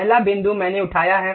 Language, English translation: Hindi, The first point I have picked